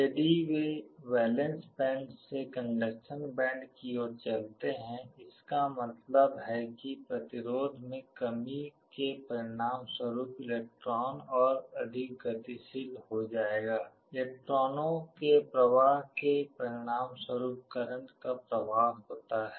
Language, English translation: Hindi, Valence band to conduction band if they move; that means, electrons become more mobile resulting in a reduction in resistance because flow of electrons result in a flow of current